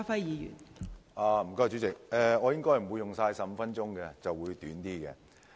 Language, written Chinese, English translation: Cantonese, 代理主席，我應該不會用盡15分鐘。, Deputy President I will not use up the 15 minutes of my speaking time